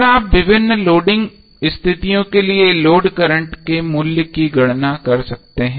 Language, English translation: Hindi, So how you will calculate the different load voltage and load current values